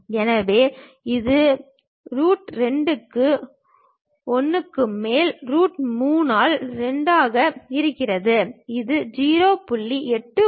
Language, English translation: Tamil, So, it will be 1 over root 2 by root 3 by 2, which is 0